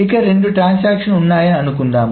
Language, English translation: Telugu, Suppose there are two transactions